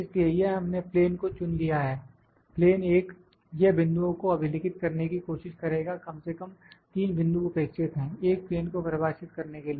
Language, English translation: Hindi, So, this we have selected plane; plane 1, it will try to record the points at least 3 points are required to define a plane